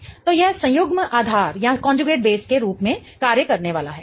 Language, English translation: Hindi, So, that is going to act as a conjugate base